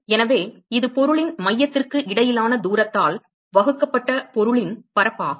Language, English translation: Tamil, So, this is the area of the object divided by the distance between the center of the objects